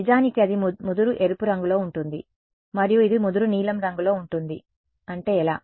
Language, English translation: Telugu, The dark thing that actually that that is like the darkest red and this is the darkest blue that is how